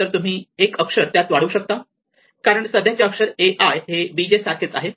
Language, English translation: Marathi, So, for all of these letters I will get 0 directly because it says that a i is not equal to b j